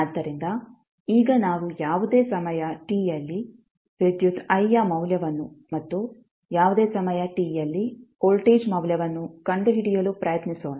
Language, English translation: Kannada, So, now let us try to find out the value of current i at any time t and value of voltage at any time t